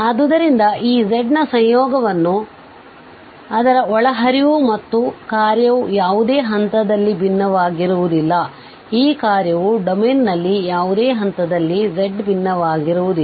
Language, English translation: Kannada, So, the conjugate of this z f z is defined as the conjugate of its argument, its input and this function is not differentiable at any point, this function is not differentiable at any point z in the domain